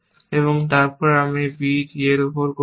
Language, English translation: Bengali, So, you would get a b d